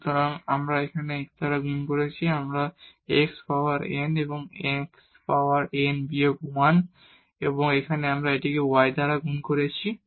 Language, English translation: Bengali, So, we have multiply it here by x so, we will get here x power n and here x power n minus 1 and here we have multiply it by y